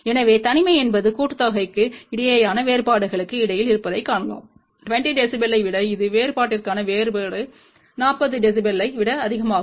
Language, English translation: Tamil, So, you can see that the isolation is between sum to differences greater than 20 dB and this is difference to difference is greater than 40 dB